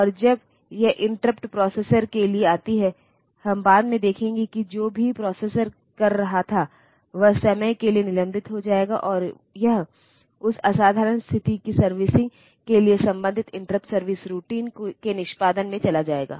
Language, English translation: Hindi, And this interrupt comes to the processor when we will see later that whatever the processor was doing that will get suspended for the time being and it will go into execution of the corresponding interrupt service routine for servicing that extraordinary situation